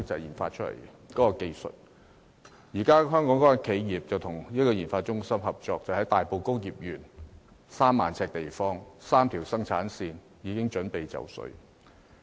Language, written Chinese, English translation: Cantonese, 現時該家香港企業與研發中心合作，在大埔工業邨3萬平方呎地方設立的3條生產線已準備就緒。, The local enterprise concerned now collaborates with HKRITA and the three production lines set up at a site covering 30 000 sq ft in the Tai Po Industrial Estate are ready for production